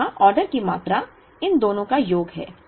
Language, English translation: Hindi, So, the order quantity here is the sum of these two